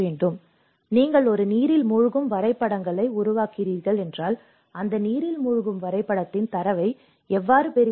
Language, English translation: Tamil, So, if you are developing an inundation maps, how do you get the data of that inundation map